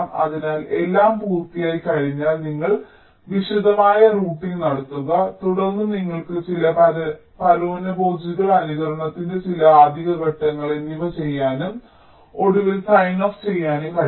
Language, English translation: Malayalam, so once everything is done, then you do detailed routing, then you can do some parasitic extraction, some additional steps of simulation and finally you proceed to sign off